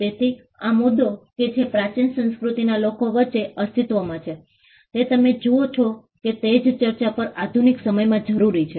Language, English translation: Gujarati, So, this issue that existed between the people in the ancient cultures you see that it also the same debate also requires in the modern times